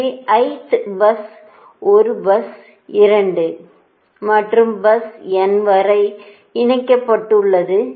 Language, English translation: Tamil, so i th bus is connected to bus one, bus two and up bus n in general